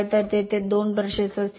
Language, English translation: Marathi, So, 2 brushes will be there